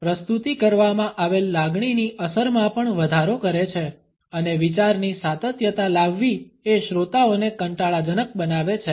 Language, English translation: Gujarati, They also increase the impact of the projected feeling and bring the continuity of thought making the listeners bored